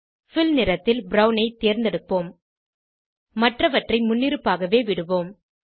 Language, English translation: Tamil, Select Fill color as brown and leave the others as default